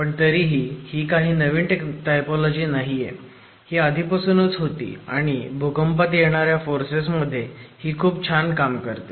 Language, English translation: Marathi, However, this is not a new typology, this has been around and found to work exceedingly well when subjected to earthquake forces